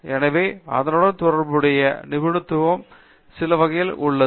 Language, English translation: Tamil, So, there is some kind of a specialization associated with it